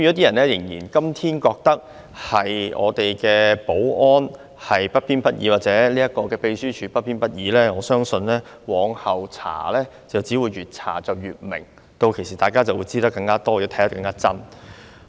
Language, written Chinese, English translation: Cantonese, 人們今天仍然認為我們的保安人員或秘書處職員不偏不倚，但我相信往後的調查會令真相越來越清晰，屆時大家便會掌握到更多的事實。, While people still think the security personnel and staff members of the Secretariat are politically impartial today subsequent investigations will enable us to get a clearer picture of the truth and more facts then I believe